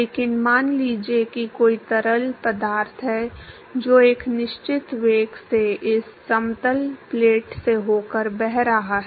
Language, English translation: Hindi, But supposing if there is a fluid which is flowing past this flat plate at a certain velocity